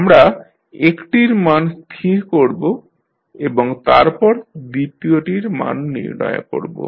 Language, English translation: Bengali, We will set the value of one and find out the value of second